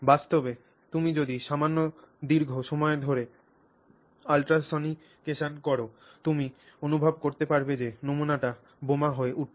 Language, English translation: Bengali, So, in fact if you do ultrasonication over a, you know, slightly prolonged period of time you can feel that sample becoming warm